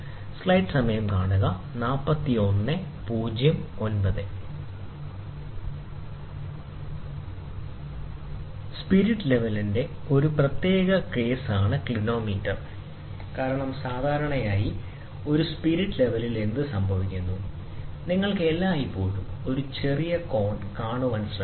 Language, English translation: Malayalam, A Clinometer is a special case of spirit level, because generally in a spirit level what happens, you would always try to have a smaller angle